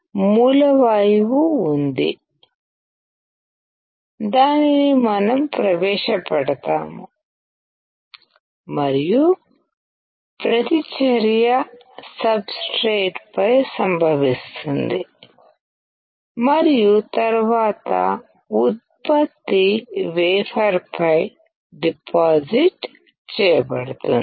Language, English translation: Telugu, There is a source gas, which we introduce; and reaction occurs on the substrate and then the product is deposited on the wafer